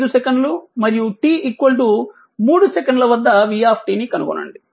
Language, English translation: Telugu, 5 second; and t is equal to 3 second